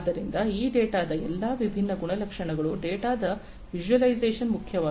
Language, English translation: Kannada, So, all these different character characteristics of this data the visualization of the data is important